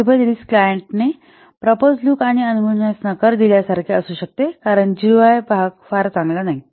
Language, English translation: Marathi, The possible risks could be like the client rejects the proposed look and proposed look and fill up the site because the UI part is not very good